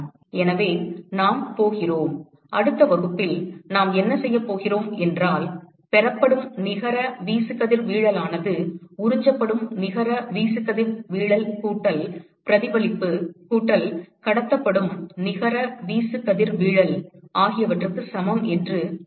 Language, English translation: Tamil, So, we are going to; next class what we are going to do is we are going to introduce saying that the net irradiation that is received is equal to the net irradiation that is absorbed plus reflected plus transmitted